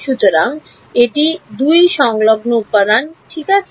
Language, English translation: Bengali, So, these are 2 adjacent elements ok